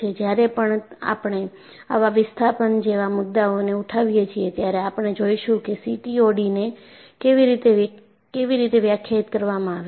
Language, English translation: Gujarati, When we take up the issues related to displacement and so on, we will look at how CTOD is defined